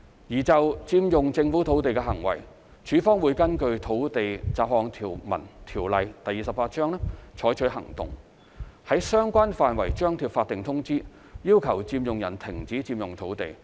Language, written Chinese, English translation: Cantonese, 而就佔用政府土地的行為，署方會根據《土地條例》採取行動，於相關範圍張貼法定通知，要求佔用人停止佔用土地。, In respect of the unlawful occupation of government land LandsD will take enforcement actions in accordance with the Land Ordinance Cap . 28 posting of statutory notice at the relevant location requiring the occupier to cease occupation of the land